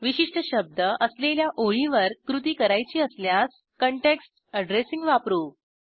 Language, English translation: Marathi, If we want to take actions on lines that contain a particular word we use context addressing